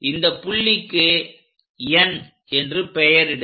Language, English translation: Tamil, So, call this point as N